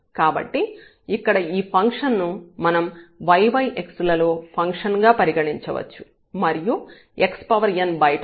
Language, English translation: Telugu, So, we can consider this function here as a function of y over x and then x power n is sitting outside